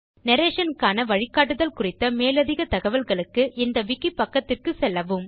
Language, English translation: Tamil, For more details on the guideline on narration, please go through this wiki page